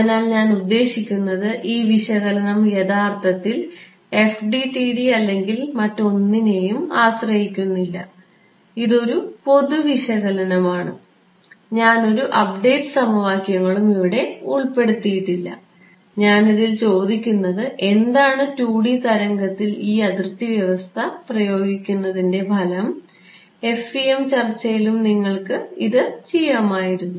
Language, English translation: Malayalam, So, this allows us to see ah, I mean this analysis actually does not depend on FDTD or anything, it is a general analysis, I have not included any update equations or whatever right, I am what I am asking in this, what is the effect of imposing this boundary condition on a 2D wave that is all, you could have done this in the FEM discussion as well